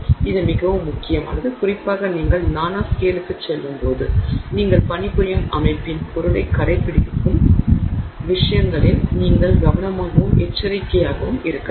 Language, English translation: Tamil, This is very important particularly when you go to the nanoscale you have to be careful and alert to things that may adhere to the system materials that you are working with